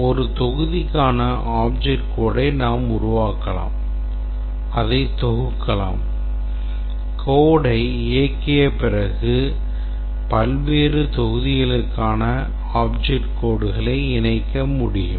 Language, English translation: Tamil, You can create the object code for a module you can compile it and then later for generating the executable code we can link the object codes for various modules